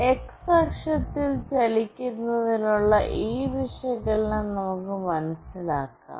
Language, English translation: Malayalam, And then let us understand this analysis for the movement along x axis